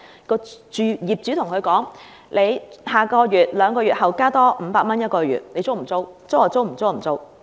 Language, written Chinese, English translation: Cantonese, 業主可以對租客說：下個月或兩個月後加租500元，你租不租？, The landlord can tell the tenant the rental will be increased by 500 next month or two months later are you still renting it or not?